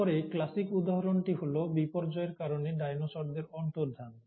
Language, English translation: Bengali, And then the classic example has been the disappearance of dinosaurs because of catastrophic events